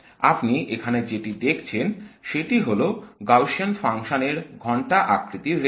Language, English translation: Bengali, That's the bell shaped Gaussian function that you see here